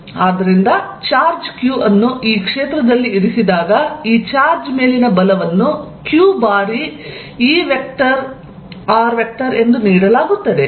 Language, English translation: Kannada, So, that when charge q is put in this field, the force on this charge is given as q times E r